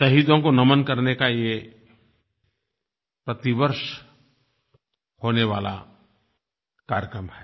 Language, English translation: Hindi, Every year we pay tributes to the martyrs on this day